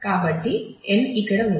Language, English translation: Telugu, So, n here is 4